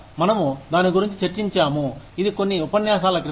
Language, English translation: Telugu, We discussed about this, a little bit in, couple of lectures ago